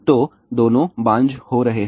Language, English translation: Hindi, So, both of them are becoming infertile